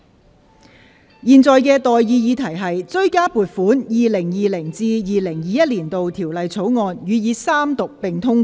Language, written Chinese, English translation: Cantonese, 我現在向各位提出的待議議題是：《追加撥款條例草案》予以三讀並通過。, I now propose the question to you and that is That the Supplementary Appropriation 2020 - 2021 Bill be read the Third time and do pass